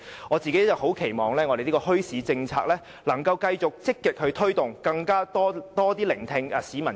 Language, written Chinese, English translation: Cantonese, 我個人期望墟市政策可以繼續積極推動，政府也要更多聆聽市民和民間的聲音。, I hope that we can continue to actively promote the development of a policy on bazaars . The Government should also listen more to the voices of the people and the community